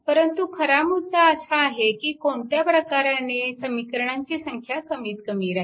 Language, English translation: Marathi, Actually question is that you have to see that where you have a minimum number of equation